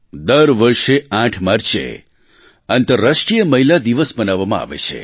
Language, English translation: Gujarati, Every year on March 8, 'International Women's Day' is celebrated